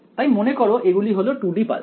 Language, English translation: Bengali, So, remember that these are 2D pulses